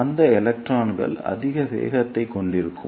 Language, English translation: Tamil, And those electrons will have greater velocities